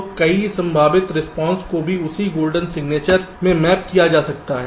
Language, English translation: Hindi, so even many possible responses might get mapped into the same golden signature